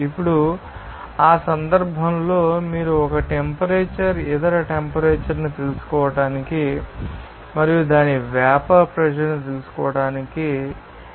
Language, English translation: Telugu, Now, in that case, you need to know that 1 temperature to find it out other temperature and corresponding its vapour pressure there